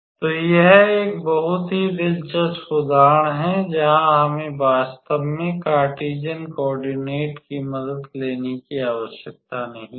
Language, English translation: Hindi, So, this is a very interesting example where we actually did not have to take help of the Cartesian coordinate system